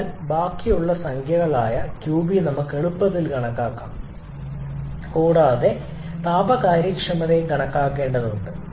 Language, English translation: Malayalam, So, we can easily calculate the remaining numbers the qB we have to calculate thermal efficiency